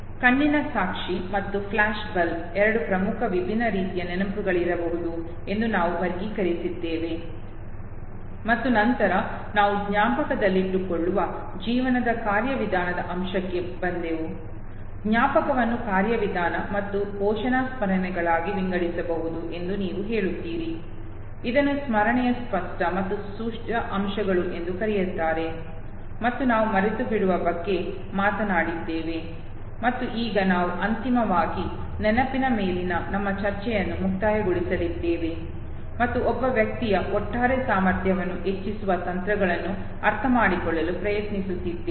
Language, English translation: Kannada, There also we classified know that eye witness and flash bulb could be two such important different distinct type of memories okay, and then we came to the procedural aspect of the life that we memorize know, you saying that memory can be divided into procedural and declarative memory, what is also called as explicit and implicit aspects of memory, and the we talked about forgetting and now we are finally concluding our discussion on memory trying to understand that there are possible techniques of enhancing the overall ability of an individual to store more and more information using intelligent techniques such as method of locus or number peg technique